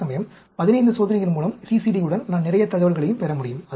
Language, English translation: Tamil, Whereas, with 15 experiments, with CCD, I can get lot of information also